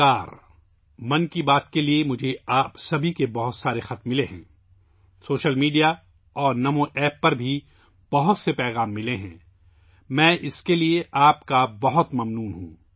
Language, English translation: Urdu, I have received many letters from all of you for 'Mann Ki Baat'; I have also received many messages on social media and NaMoApp